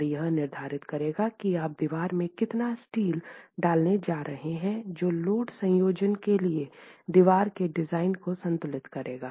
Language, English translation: Hindi, And that will determine how much steel you are going to put in in the wall itself to ensure the wall design satisfies the load combinations